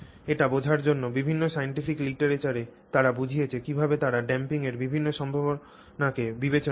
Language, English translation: Bengali, So, to understand this, just to understand how they, in the scientific literature, how they lay out the different possible extents of damping